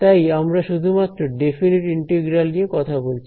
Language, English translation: Bengali, We are only talking about definite integrals alright